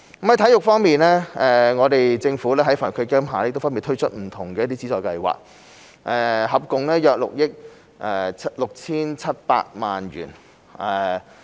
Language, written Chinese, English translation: Cantonese, 在體育方面，政府在基金下分別推出不同的資助計劃，涉及共約6億 6,700 萬元。, As regards sports the Government launched different subsidy schemes under AEF involving about 667 million in total